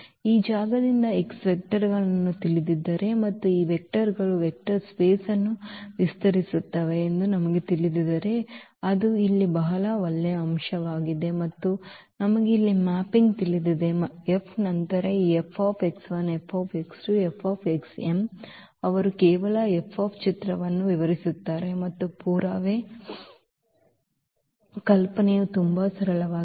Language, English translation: Kannada, So, that is a very nice point here if we know the vectors from this space x and we know that these vectors span the vector space x and we know the mapping here F then this F x 1 F x 2 F x m they will just span the image F and the idea of the proof is very simple